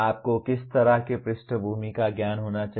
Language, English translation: Hindi, What kind of background knowledge that you need to have